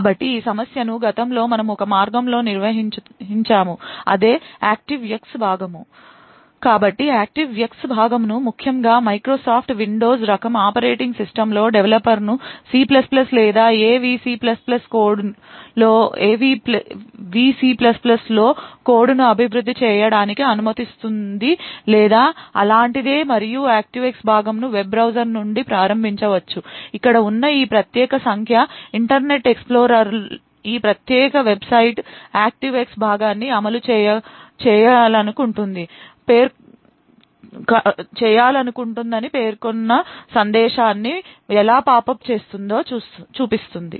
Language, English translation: Telugu, handled in the past was by means of an ActiveX component, so an ActiveX component especially in a Microsoft Windows type of operating systems would permit a developer to develop code in C++ or which VC++ or something like that and the ActiveX component could be invoked from the web browser, this particular figure over here would show how the Internet Explorer would pop up a message stating that this particular website wants to run an ActiveX component